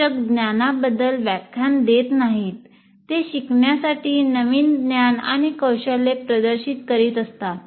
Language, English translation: Marathi, We are not saying lecturing about the knowledge, demonstrating the new knowledge and skill to be learned